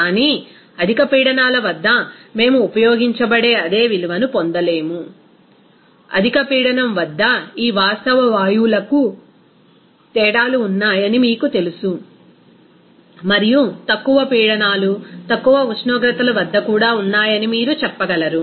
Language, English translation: Telugu, But at higher pressures, we will not get the same value that will be used, you know that differences for these real gases at a higher pressure and also you can say that low pressures, low temperatures